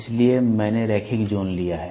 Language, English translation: Hindi, So, I have taken the linear zone